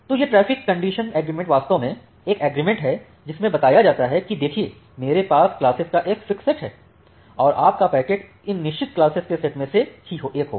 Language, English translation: Hindi, So, this traffic condition agreement actually is an agreement which says you that see I have this fixed set of classes and your packet will belong to one of these fixed set of classes